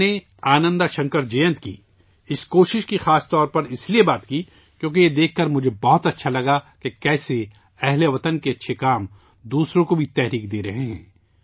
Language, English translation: Urdu, I specifically mentioned this effort of Ananda Shankar Jayant because I felt very happy to see how the good deeds of the countrymen are inspiring others too